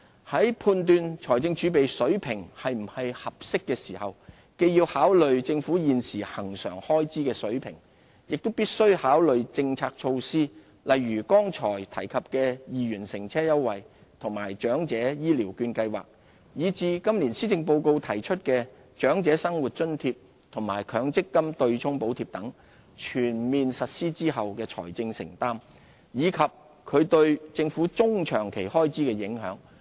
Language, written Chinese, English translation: Cantonese, 在判斷財政儲備的水平是不是合適時，既要考慮政府現時恆常開支的水平，亦必須考慮政策措施，例如剛才提及的2元交通優惠和長者醫療券計劃，以至今年施政報告提出的長者生活津貼和強積金"對沖"補貼等，全面實施後的財政承擔，以及其對政府中、長期開支的影響。, In assessing whether the level of fiscal reserves is appropriate we ought to consider the Governments prevailing recurrent funding requirements and the medium - to long - term financial implications upon full implementation of policy initiatives such as the 2 Public Transport Fare Concession Scheme and the Elderly Health Care Voucher Scheme mentioned just now and the enhanced OALA and the provision of subsidy in respect of MPF offsetting arrangement as announced in this years Policy Address